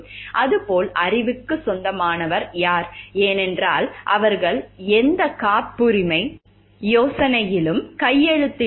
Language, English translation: Tamil, As it is like then, who is the owner of the knowledge, because they have not signed any patent idea